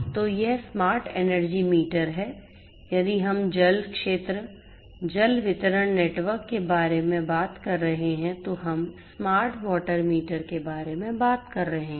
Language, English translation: Hindi, So, then it is the smart energy meter if we are talking about the water sector, water distribution network, then we are talking about the smart water meter